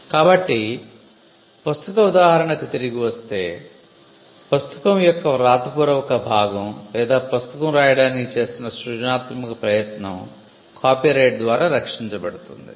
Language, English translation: Telugu, So, coming back to the book example a book the written part of the book or the creative endeavor that goes into writing a book is protected by copyright